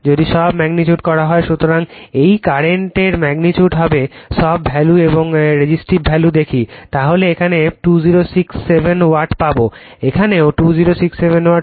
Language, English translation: Bengali, So, if you just put all these values from the magnitude of this current and the resistive value you will get 2067 Watt here also 2067 watt